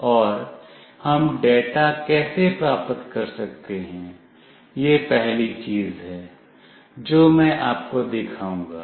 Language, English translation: Hindi, And how we can receive the data, this is the first thing that I will show